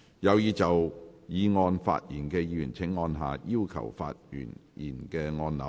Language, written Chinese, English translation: Cantonese, 有意就議案發言的議員請按下"要求發言"按鈕。, Members who wish to speak on the motion will please press the Request to speak button